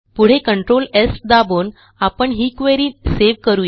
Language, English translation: Marathi, Next, let us save this query, by pressing Control S